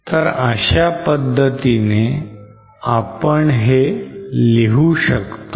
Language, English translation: Marathi, So this how we can represent it